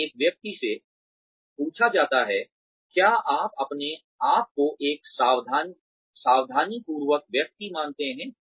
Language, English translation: Hindi, So, a person is asked, do you consider yourself a meticulous person